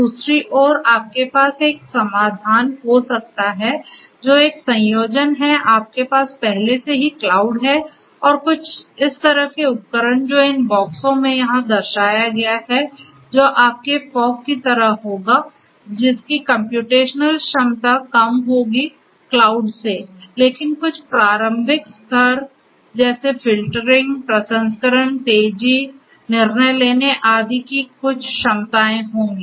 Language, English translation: Hindi, On the other hand you could have a solution which is a combination of your whatever you already had the cloud and some kind of you know these devices like these boxes over here which are representationally shown, which will be like your you know fog which will have reduced capacities computational capacities then the cloud, but have certain capacities for doing some preliminary level filtering, processing, faster, you know decision making and so on right